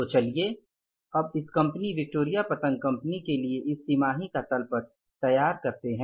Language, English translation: Hindi, So, let us prepare now the balance sheet for this company, this Victoria Kite company for the quarter